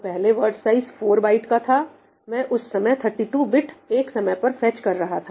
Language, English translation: Hindi, So, earlier the word size of 4 bytes, I was fetching 32 bits at a time